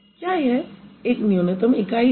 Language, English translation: Hindi, is going to be a minimal unit